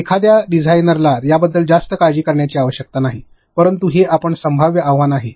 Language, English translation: Marathi, A designer need not worry so much about it, but that is a possible challenge which you can face